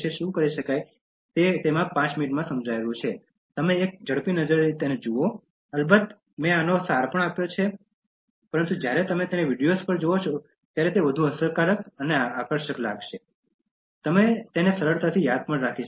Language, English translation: Gujarati, It is hardly about five minutes, you can take a quick look, of course I have given the essence of these ones, but when you watch them on videos it is more impactful and more attractive and you will keep remembering them easily